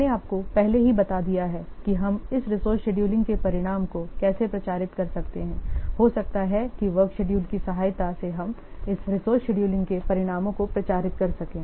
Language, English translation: Hindi, I have already told you how you can publicize the outcome of this resource scheduling may be through the help of work schedules we can publishize the outcome of this resource scheduling